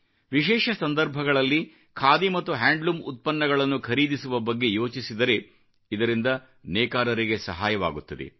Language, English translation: Kannada, For example, think of purchasing Khadi and handloom products on special occasions; this will benefit many weavers